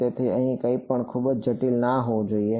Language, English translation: Gujarati, So, should not be anything too complicated here